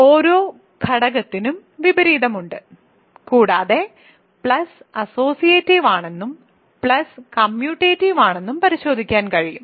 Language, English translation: Malayalam, So, every element has an inverse and one can check that plus is associative and plus is commutative